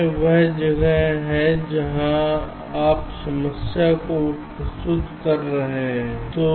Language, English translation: Hindi, this is where you are posing the problem, right